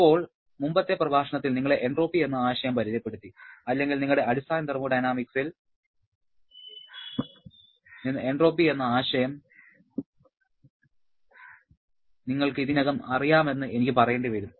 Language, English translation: Malayalam, Now, in the previous lecture, you were introduced to the concept of entropy or I should say you already know the concept of entropy from your basic thermodynamics